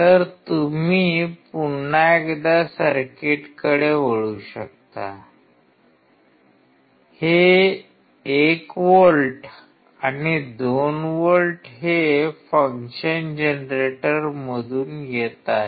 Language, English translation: Marathi, So, you come back to the circuit once again This 1 volt and 2 volt is coming from function generator